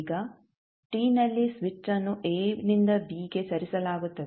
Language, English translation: Kannada, Now, at t is equal to switch is moved from a to b